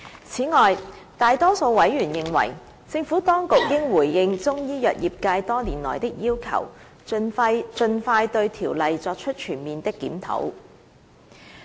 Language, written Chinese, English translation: Cantonese, 此外，大多數委員認為，政府當局應回應中醫藥業界多年來的要求，盡快對《條例》作出全面檢討。, In addition the great majority of Members believe that the Administration should respond to the request made by the Chinese medicines industry over the years for a comprehensive review of CMO